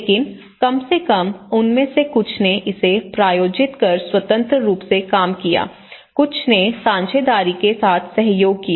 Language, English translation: Hindi, But at least some of them they sponsored it, some of them they worked independently, some of them they collaborated with partnerships